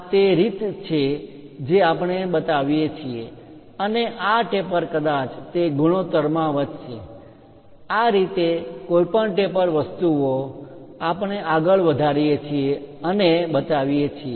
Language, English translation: Gujarati, This is the way we show and this taper perhaps increasing in that ratio, this is the way any taper things we go ahead and show it